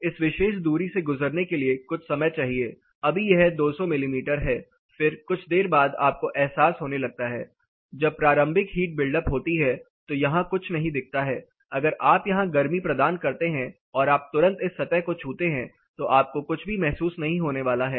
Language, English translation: Hindi, Then it needs some time to pass through this particular distance say now it is 200 mm, then after while you start getting a realizing say when there is a you know initial heat buildup you do not say anything here, say if you apply heat here if you touch this surface immediately you are not going to feel anything